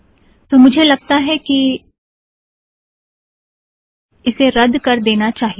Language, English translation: Hindi, I think this is something we have to cancel